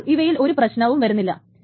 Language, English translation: Malayalam, So, there is no problem with that